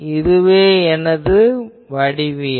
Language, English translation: Tamil, So, this is my geometry